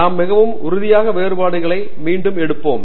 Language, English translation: Tamil, So, let us take again very concrete differences